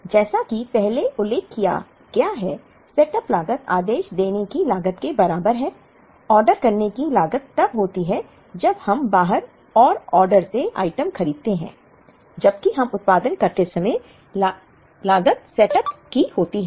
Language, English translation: Hindi, As mentioned earlier, setup cost is the equivalent of ordering cost; ordering cost is when we buy the item from outside and order, while setup cost is incurred when we produce